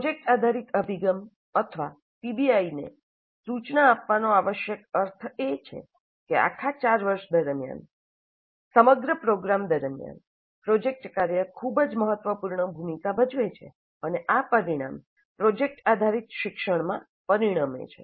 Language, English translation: Gujarati, And the project based approach, or PBI, to instruction, essentially means that project work plays a very significant role throughout the program, throughout all the four years, and this results in project based learning